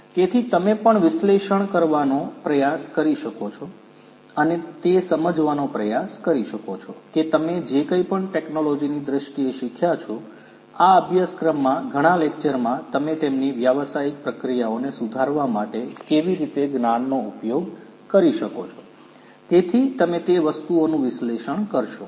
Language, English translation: Gujarati, So, that you can also try to analyze and try to understand how whatever you have learnt in terms of the technology, the business in the several lectures in this course how you can use the knowledge in order to improve their business processes